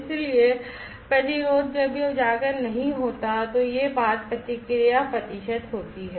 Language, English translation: Hindi, So, resistance when it is not exposed verses this thing that is the response percent